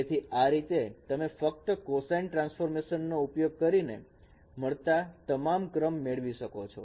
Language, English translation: Gujarati, So in this way you can get all the original sequence by just by using only cosine transforms